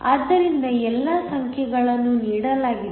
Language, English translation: Kannada, So, all the numbers are given